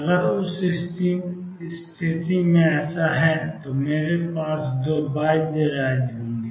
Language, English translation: Hindi, If that is the case in that situation I will have two bound states